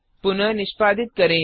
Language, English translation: Hindi, Execute as before